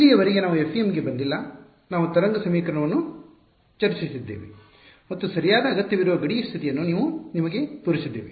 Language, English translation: Kannada, So far we have not come to the FEM we have just discussed the wave equation and shown you the boundary condition that is required right